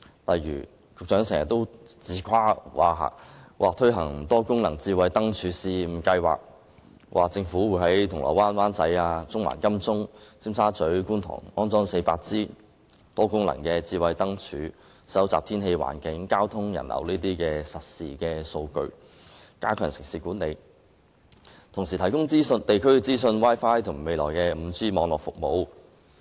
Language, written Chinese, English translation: Cantonese, 例如，局長經常自誇會推行"多功能智慧燈柱試驗計劃"，在銅鑼灣、灣仔、中環、金鐘、尖沙咀、觀塘等區安裝400支多功能燈柱，收集天氣、環境、交通、人流等方面的實時數據，以加強城市管理，並且提供地區資訊、Wi-Fi 和未來的 5G 網絡服務。, For instance the Secretary often brags about the launch of a pilot Multi - functional Smart Lampposts Scheme whereby 400 - odd smart lampposts will be installed in Causeway Bay Wan Chai Central Admiralty Tsim Sha Tsui and Kwun Tong to collect real - time data on the weather environment pedestrian and traffic flow and so on with a view to enhancing city management and providing information on various districts Wi - Fi and 5G network services to be launched in the future